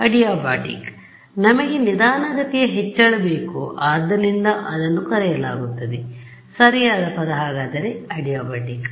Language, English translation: Kannada, Adiabatic we want a slow increase so it is called so, correct word is adiabatic